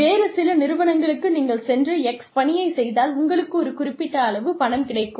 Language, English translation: Tamil, In some other organizations, they will say, you do x, you will get this much money